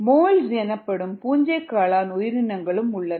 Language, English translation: Tamil, and also, there are organisms called molds